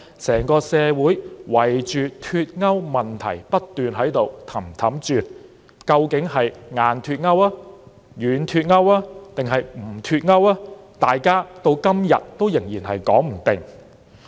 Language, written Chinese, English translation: Cantonese, 整個社會圍着脫歐問題不停團團轉，究竟是"硬脫歐"、"軟脫歐"還是"不脫歐"，到今天仍然說不定。, The entire society has been going round in circles on the Brexit issue . Should there be hard Brexit soft Brexit or no Brexit? . No one can tell for sure today